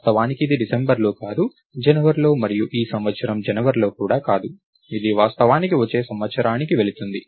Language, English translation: Telugu, In fact, its not even in December, its in January and its not even in January of this year, its actually moving to the next year